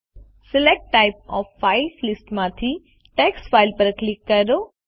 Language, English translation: Gujarati, From the Select type of file list, click on Text file